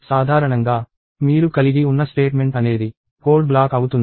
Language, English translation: Telugu, Typically, the statement that you have is a block of code